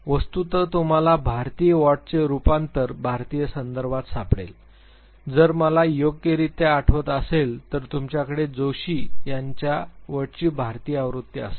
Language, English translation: Marathi, In fact, you would find the adaptation of w a t in the Indian, context if I remember correctly you will have the Indian version of w a t by Joshi